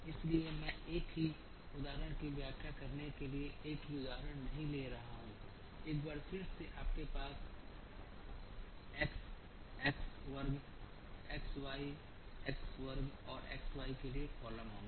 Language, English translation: Hindi, Therefore, I am not taking a numerical example to explain the same solution once again you will have columns for x x square x y x square and x y